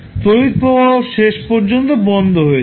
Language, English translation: Bengali, The current will eventually die out